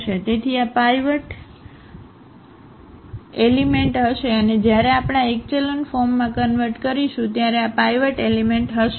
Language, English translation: Gujarati, So, this will be the pivot element and this will be also the pivot element when we convert into this echelon form